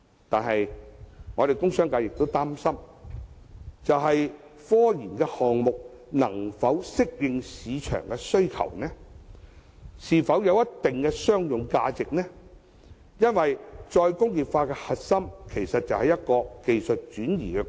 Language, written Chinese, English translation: Cantonese, 但是，工商界亦擔心科研項目能否順應市場的需求？是否有一定的商用價值？因為再工業化的核心，其實就是技術轉移。, However the commercial and industrial sectors are worried whether the scientific research projects will meet the market demand and have commercial value as the core of re - industrialization is the transfer of know - how